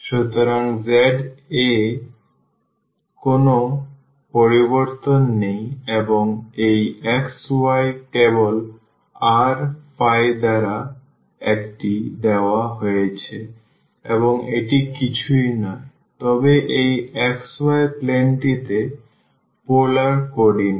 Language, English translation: Bengali, So, there is no change in the z and this xy simply they are given by this r phi and that is nothing, but the polar coordinate in this xy plane